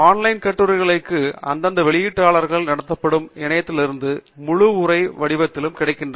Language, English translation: Tamil, Online articles are also available in a full text form from portals that are run by the respective publishers